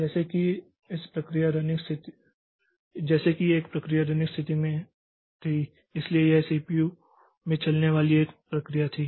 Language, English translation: Hindi, Like a process was in the running state so it was a process was running in the CPU